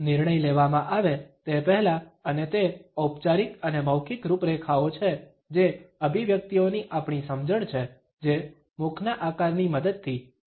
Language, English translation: Gujarati, Before the decision is made and it is formalized and verbalized our understanding of expressions which have been communicated with the help of mouth shapes